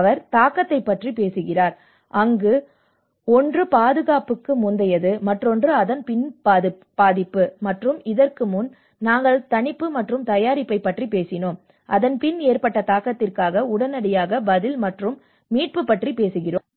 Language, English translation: Tamil, He talks about the impact, and one is the before impact and the after impact, and in the before, we talked about the mitigation and the preparation, and after the impact, we immediately talk about the response and the recovery